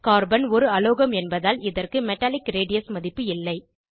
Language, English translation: Tamil, Since Carbon is a non metal it does not have Metallic radius value